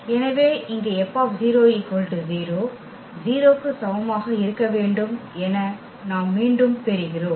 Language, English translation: Tamil, So, here we are getting again this 0 F 0 must be equal to 0